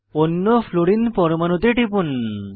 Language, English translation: Bengali, Click on the other Fluorine atom